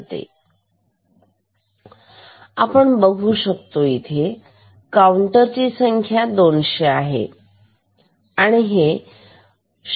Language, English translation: Marathi, So, we see that, the counter value is 200 and it is driven with a clock of 0